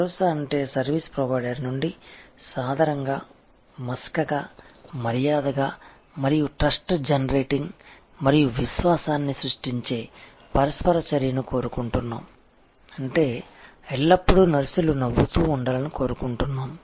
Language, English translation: Telugu, Assurance means that we want warm, fuzzy, polite and trust generating, confidence generating interaction from the service provider, which means that we want always nurses should be smiling